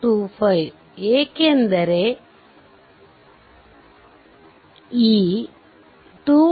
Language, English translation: Kannada, 25 because this 2